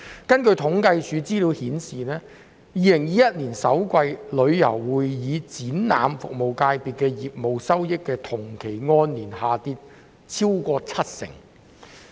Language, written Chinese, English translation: Cantonese, 根據政府統計處的資料顯示，旅遊會議展覽服務界別於2021年首季的業務收益，按年下跌超過七成。, According to the information of the Census and Statistics Department the business receipts of the tourism convention and exhibition services domain decreased by over 70 % year - on - year in the first quarter of 2021